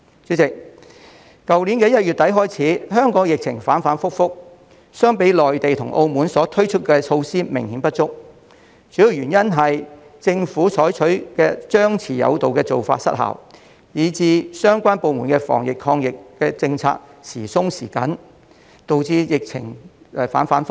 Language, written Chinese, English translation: Cantonese, 主席，去年1月底開始，香港疫情反覆，相比內地及澳門推出的措施，我們的措施明顯不足，主要原因是政府採取張弛有度的做法失效，以致相關部門的防疫抗疫政策時鬆時緊，亦導致疫情反覆。, President the pandemic in Hong Kong has fluctuated since the end of January last year . As compared with the measures adopted in the Mainland and Macao our measures are obviously inadequate . The main reason is that the suppress and lift strategy adopted by the Government failed to work